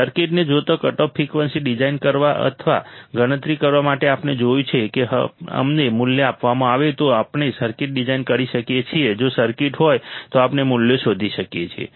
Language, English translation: Gujarati, To design or to calculate the cutoff frequency given the circuit, we have seen if we are given the value we can design the circuit if the circuit is there we can find the values